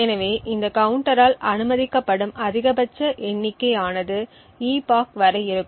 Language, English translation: Tamil, So, therefore the maximum count that is permissible by this counter is upto the epoch